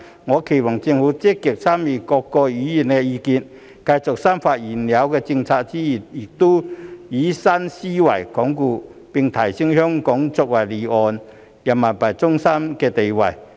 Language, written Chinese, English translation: Cantonese, 我期望政府積極參考各位議員的意見，繼續深化現有政策之餘，亦以新思維鞏固和提升香港作為離岸人民幣中心的地位。, I hope that the Government can actively take into account Members views and adopt a new thinking to consolidate and enhance Hong Kongs status as an offshore RMB centre while continuing to deepen the existing policies